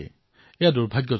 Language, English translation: Assamese, This is very unfortunate